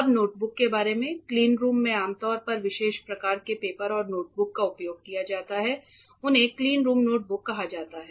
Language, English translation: Hindi, Now, about notebooks, in cleanrooms usually special type of papers and notebooks are used they are called cleanroom notebooks